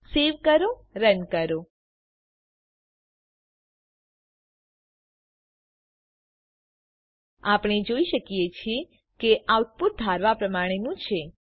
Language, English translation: Gujarati, Save it ,run As we can see, the output is as expected